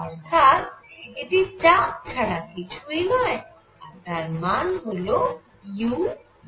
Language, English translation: Bengali, So, this is nothing, but pressure and this comes out to be u by 3